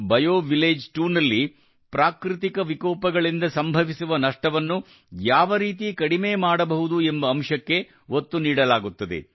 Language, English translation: Kannada, BioVillage 2 emphasizes how to minimize the damage caused by natural disasters